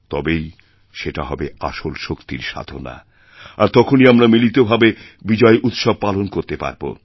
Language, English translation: Bengali, And that would be the true prayer to Shakti, only then can we celebrate together the festival of victory